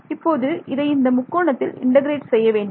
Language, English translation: Tamil, So, supposing I got x integrated over this triangle